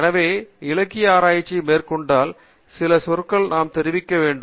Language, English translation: Tamil, So, when we go ahead with literature survey, we must be familiar with some terminology